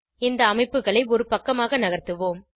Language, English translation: Tamil, Lets move the structures to a side